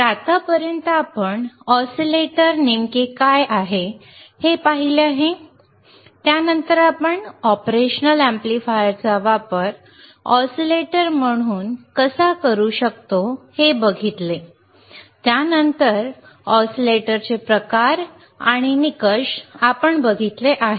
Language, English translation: Marathi, So, until now we have seen what exactly oscillators isare, then we have seen how you can use operational amplifier as an oscillator, then we have seen kinds of oscillators and the criteria right